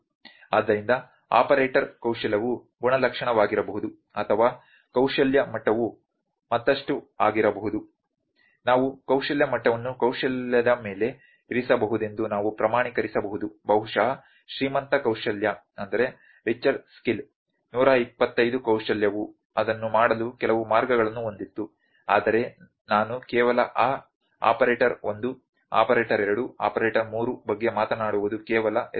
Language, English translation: Kannada, So, operator ones skill level can be attribute or the skill level can be further we can quantify that skill level can be put in an on a skill maybe richer skill 125 skill were they have certain ways to do that as well, but I am just talking about that operator 1 operator, 2 operator, 3 were just names